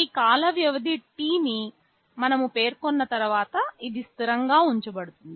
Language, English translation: Telugu, Once we specify this time period T, this will be kept constant